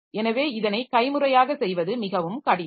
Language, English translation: Tamil, So, it is very difficult to do it manually